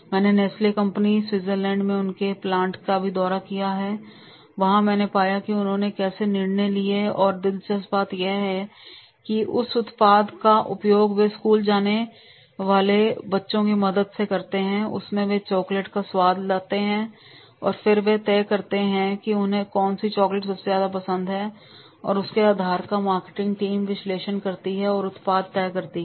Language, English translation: Hindi, I have also visited the Nessalese companies they plant at the Switzerland and there I have found that is the how they have decided and the interesting is this the product in the deciding the products they take the help of the kids, the school going kids, they come, they taste the chocolates and then they decide that is the which chocolate they like most and on basis of that the marketing team does the analysis and decides the product